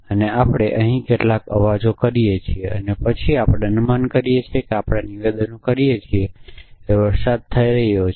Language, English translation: Gujarati, And we here some sounds and then we make an inference we make a statements that it is raining essentially